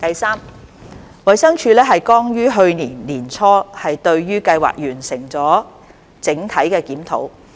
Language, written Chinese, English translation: Cantonese, 三衞生署剛於去年年初對計劃完成了整體檢討。, 3 The Department of Health DH completed a comprehensive review of the Scheme early last year